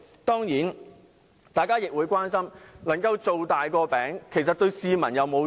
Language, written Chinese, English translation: Cantonese, 當然，大家亦會關心"造大個餅"對市民是否有益。, Of course there are also concerns about whether making the pie bigger will be beneficial to the public